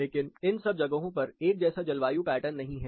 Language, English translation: Hindi, Not all of these locations resemble the same, in terms of their climatic pattern